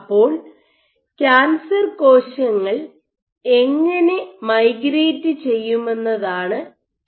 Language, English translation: Malayalam, So, the question is how will then cancer cells migrate